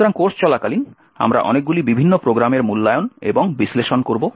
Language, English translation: Bengali, So, during the course we will be evaluating and analysing a lot of different programs